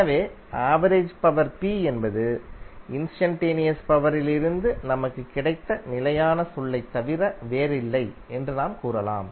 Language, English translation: Tamil, So we can say that the average power P is nothing but the constant term which we have got from the instantaneous power